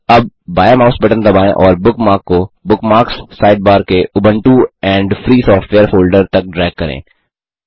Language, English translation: Hindi, Now, press the left mouse button and drag the bookmark up to Ubuntu and Free Software folder in the Bookmarks Sidebar